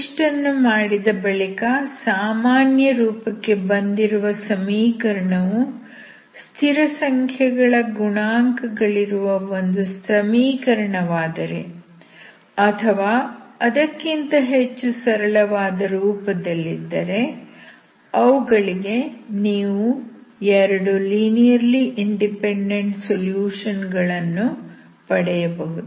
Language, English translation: Kannada, Once it is done then if the normal form or standard form becomes an equation with constant coefficient or in a simpler form for which you can find the two linearly independent solutions, then you can find the general solution of the given equation, okay